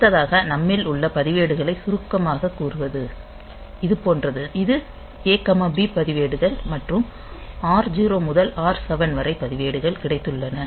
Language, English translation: Tamil, So, next so the to summarize the registers that we have is are like this we have got this A B registers plus the registers R 0 through R 7 then